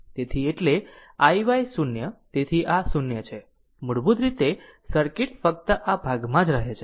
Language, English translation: Gujarati, So, i y 0, so this is 0 basically circuit remains only this part